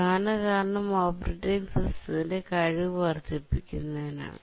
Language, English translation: Malayalam, The main reason is to enhance the throughput of the operating system